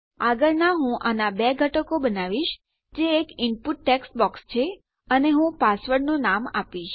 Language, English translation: Gujarati, Next Ill just create two elements of this which is an input text box and Ill give the name of password